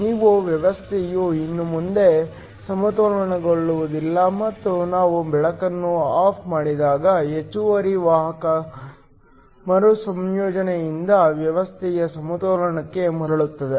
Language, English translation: Kannada, Your system is no longer in equilibrium and when we turn light off then the system goes back to equilibrium by the excess carrier recombining